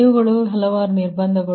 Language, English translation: Kannada, these are the several constraints